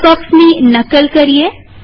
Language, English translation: Gujarati, Let us copy this box